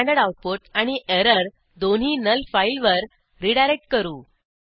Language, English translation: Marathi, Let us redirect both standard output and error to the null file